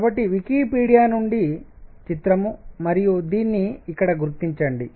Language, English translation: Telugu, So, picture from Wikipedia and acknowledge this here